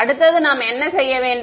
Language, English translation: Tamil, Next is next what do we need to do